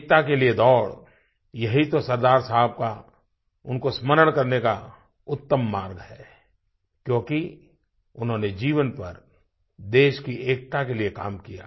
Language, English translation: Hindi, This is the best way to remember SardarSaheb, because he worked for the unity of our nation throughout his lifetime